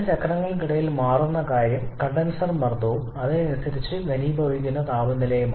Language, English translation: Malayalam, Between these two cycles the thing that is changing is the condenser pressure and accordingly the temperature corresponding to condensation